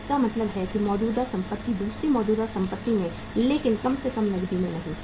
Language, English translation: Hindi, So it means one current asset into another current asset but not at least into cash